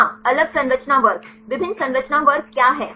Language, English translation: Hindi, Yeah different structure classes, what are different structure classes